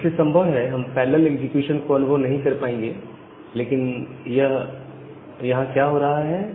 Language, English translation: Hindi, So, we will possibly not get a feel of this parallel execution, but what is happening there